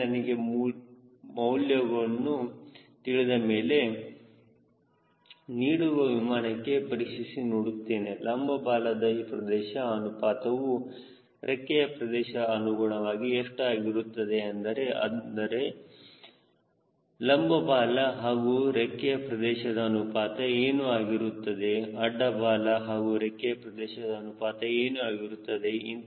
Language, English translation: Kannada, once i get this number by this then we cross check for a given aeroplane, what is the vertical tail area ratio with respect to to the wing area, that is, what is the ratio of vertical tail to wing area